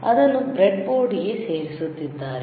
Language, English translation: Kannada, he is inserting it into the breadboard